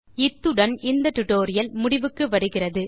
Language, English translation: Tamil, So This brings us to the end of this tutorial